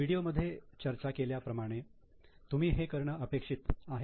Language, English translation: Marathi, So, as we discusses in the video, you are expected to do it with you